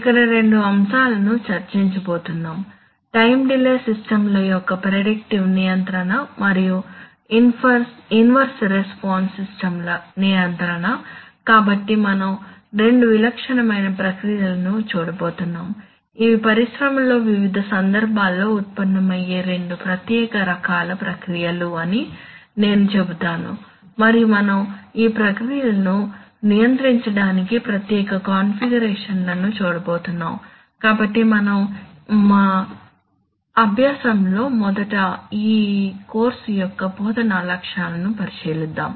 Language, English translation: Telugu, Which is on two topics a, predictive control of time delay systems and control of inverse response systems so we are going to look at two typical kinds of processes which I would rather say two special kinds of processes which arise in the industry in various context and we are going to see special configurations for controlling these processes, so as is our practice will first look at the instructional objectives for this course